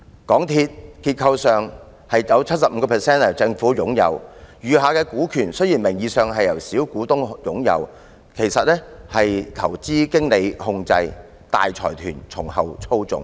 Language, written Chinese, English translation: Cantonese, 結構上，政府擁有港鐵公司 75% 的股權，雖然餘下的股權名義上是由小股東擁有，但其實是由投資經理控制，大財團從後操縱。, Looking at MTRCLs structure the Government owns 75 % of its shares . While the remaining shares are nominally held by the minority shareholders they are in fact controlled by investment managers under the manipulation of consortia